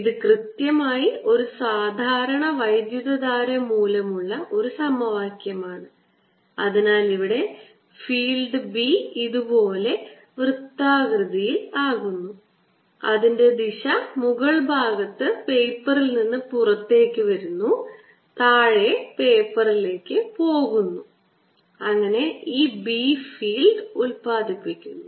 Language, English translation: Malayalam, this is precisely the equation that is due to a regular current also and therefore out here the b field is going to be circular like this, coming out of the paper on top, going into the paper at the bottom, and this b field is going to be produced